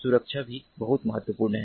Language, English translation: Hindi, security is also very important